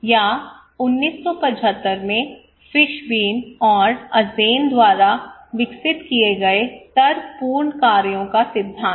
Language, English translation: Hindi, Or theory of reasoned actions developed by Fishbein and Azjen in 1975